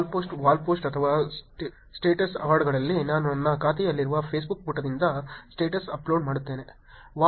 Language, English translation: Kannada, In the wall post itself, wall post or the status updates I actually do status update from the Facebook page in my account